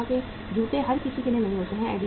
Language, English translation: Hindi, Puma shoes are not for everybody